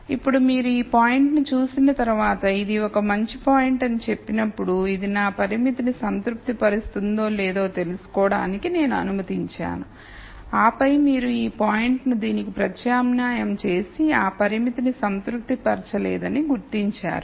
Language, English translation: Telugu, Now when you look at this point and then say well this is a best point I have let me find out whether it satisfies my constraint and then you substitute this point into this and then you gure out it does not satisfy the constraint